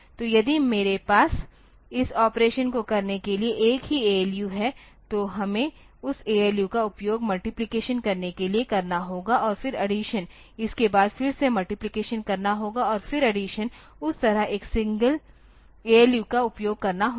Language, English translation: Hindi, So, if I have a single ALU for doing this operation then we have to use that ALU for doing the multiplication and then addition then again multiplication then again addition like that single ALU has to be used